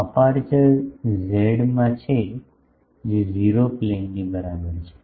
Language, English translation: Gujarati, The aperture is in the z is equal to 0 plane